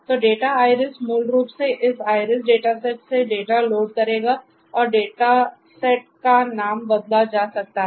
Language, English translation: Hindi, So, data iris will basically load the data from this iris dataset and rename the data set can be done